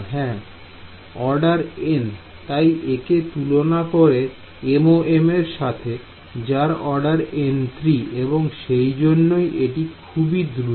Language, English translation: Bengali, Order n right; so, compare this with MoM which is order n cube that is why this is fast